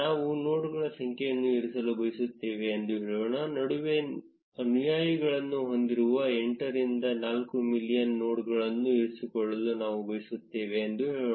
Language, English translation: Kannada, Let us say we want to keep the number of nodes, let us say we want to keep the nodes which have the followers between 8 to 4 million